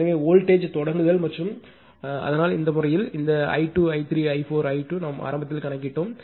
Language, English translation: Tamil, So, slag voltage start and so, in this case this i 2 , i 3 , i 4 , i 2 in i 2 we have initially calculated